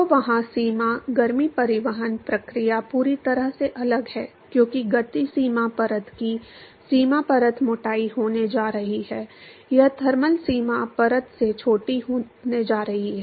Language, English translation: Hindi, So, there the boundary, the heat transport process is completely different, because the boundary layer thickness of the momentum boundary layer is going to be, it is going to be smaller than the thermal boundary layer